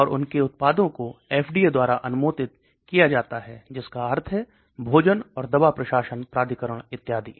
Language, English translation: Hindi, And their products are approved by FDA that means food and drug administration authority and so on